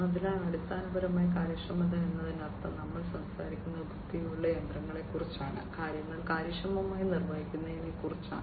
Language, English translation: Malayalam, So, basically efficiency means like, we are talking about intelligent machinery, performing things efficiently